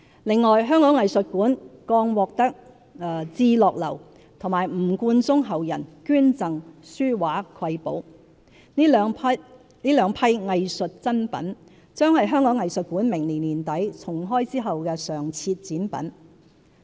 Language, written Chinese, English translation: Cantonese, 另外，香港藝術館剛獲至樂樓和吳冠中後人捐贈書畫瑰寶，這兩批藝術珍品將是香港藝術館明年年底重開後的常設展品。, Moreover the Hong Kong Museum of Art has just received donations of precious paintings and calligraphy from Chih Lo Lou and the family of WU Guanzhong and these two batches of art treasures will be displayed as permanent exhibits upon the reopening of the museum in end - 2019